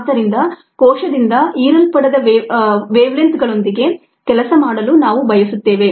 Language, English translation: Kannada, so we would like to work with wavelengths that are not absorbed by the cell